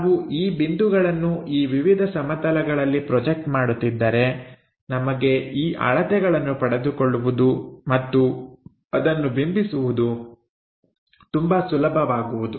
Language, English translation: Kannada, So, if we are projecting these points onto these different planes, it becomes easy for us to measure the distances and reproduce those things